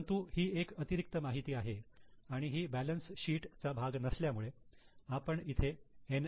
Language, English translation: Marathi, But this is an extra information, this is not a part of balance sheet